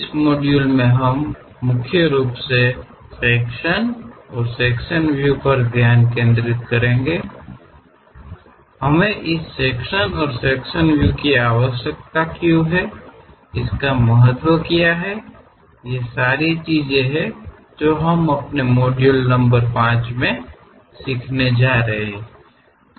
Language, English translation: Hindi, In this module, we will mainly focus on Sections and Sectional Views; when do we require this sections and sectional views, what are the importance of the sections; these are the things what we are going to learn in our module number 5